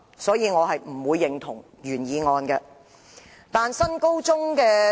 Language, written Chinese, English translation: Cantonese, 因此，我不會認同原議案。, For this reason I will not endorse this motion